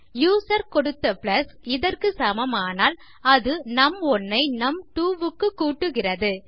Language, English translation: Tamil, So when this equals to plus supplied by the user, we have num1 added to num2